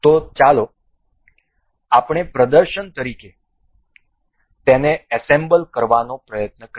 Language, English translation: Gujarati, So, let us just try to assemble this as an demonstration